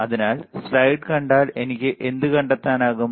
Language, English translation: Malayalam, So, if I see the slide what can I find